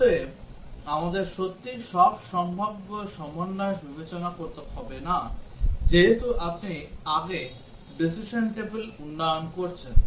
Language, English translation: Bengali, So, we do not have to really consider all possible combinations as you are doing in the decision table development earlier